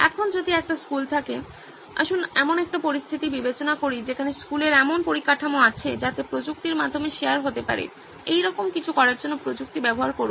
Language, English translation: Bengali, Now if a school has, let’s consider a situation where school has infrastructure being shared through technology, use technology to do something like this